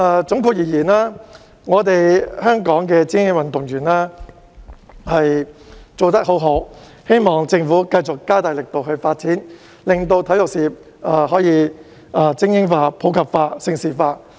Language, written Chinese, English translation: Cantonese, 總括而言，我們香港的精英運動員做得很好，希望政府繼續加大力度發展，令體育事業可以精英化、普及化及盛事化。, All in all our elite athletes in Hong Kong have done an excellent job . I hope that the Government will continue to step up its efforts in supporting elite sports promoting sports in the community and developing Hong Kong into a centre for major international sports events